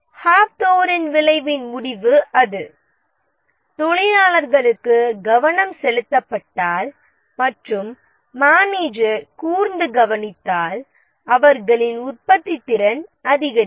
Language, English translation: Tamil, The conclusion from here the Hawthorne effect is that if the workers are given attention, the manager pays close attention that what they are doing, their productivity increases